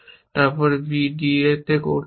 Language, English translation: Bengali, So, you would get a b d